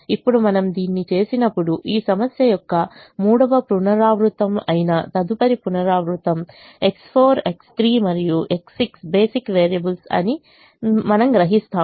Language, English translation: Telugu, now when we do this, the next iteration, which is the third iteration of this problem, you realize that x four, x three and x six are the basic variables